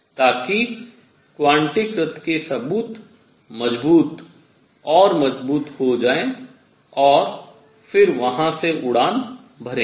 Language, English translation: Hindi, So, that the evidence for quantization becomes stronger and stronger and then will take off from there